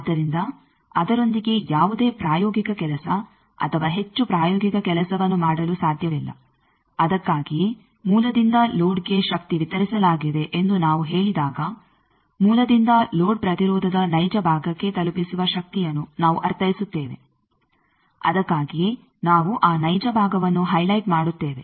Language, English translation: Kannada, So, no practical work or much practical work cannot be done with that; that is why when we say power delivered from source to load we mean power delivered from source to real part of load impedance that is why we are highlighted that real part